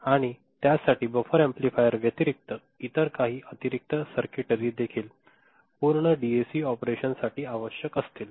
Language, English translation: Marathi, And, there will be other than buffer amplifier there are some other additional circuitry that will be required for a full fledged DAC operation